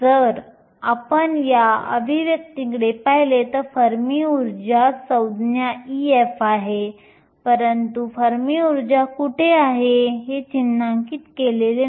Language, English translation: Marathi, If you look at these expressions the fermi energy term e f is in there, but I have not marked where the fermi energy is